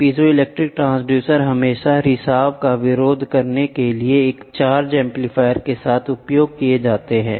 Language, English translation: Hindi, The piezo transducer are always used in with a charged amplifier to oppose the leakage